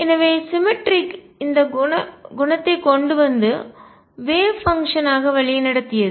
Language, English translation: Tamil, So, symmetry led to this property as wave function